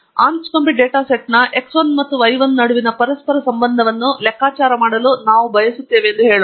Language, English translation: Kannada, LetÕs say that we want to compute the correlation between x 1 and y 1 of the Anscombe data set